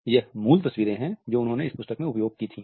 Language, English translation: Hindi, They are the original photographs which he had used in this book